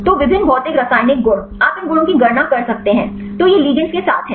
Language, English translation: Hindi, So, various physicochemical properties; you can calculate these properties; so this is with the ligands